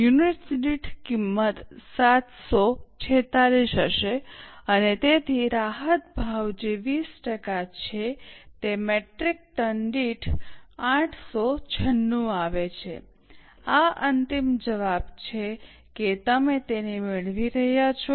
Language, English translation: Gujarati, Cost per unit will be 746 and so concessional price which is 20% comes to 896 per metric term, this is the final answer